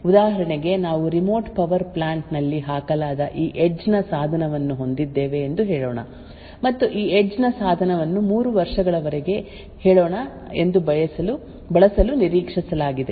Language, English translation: Kannada, For example, let us say that we have this edge device which is a put in a remote power plant and this edge device is expected to be used for say let us say for 3 years